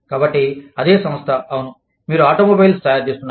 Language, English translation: Telugu, So, the same company, yes, you are making automobiles